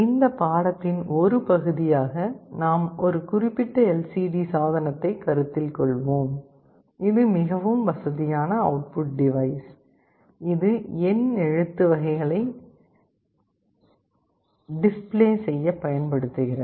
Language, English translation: Tamil, Let us consider one particular LCD device that we shall be showing as part of our demonstration, this is a very convenient output device, which can be used to display alphanumeric characters